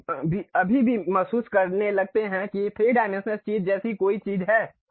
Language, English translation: Hindi, You still start feeling like there is something like a 3 dimensional thing